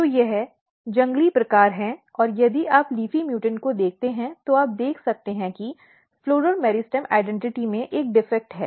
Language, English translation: Hindi, So, this is wild type and if you look the leafy like structure you can see that the there is a defect in the floral meristem identity